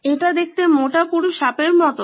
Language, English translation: Bengali, This looks like a fat thick snake